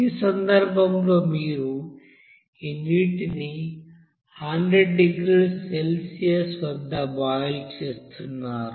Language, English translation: Telugu, In this case you are going to boil this water at 100 degrees Celsius